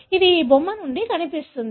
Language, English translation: Telugu, It looks like from this figure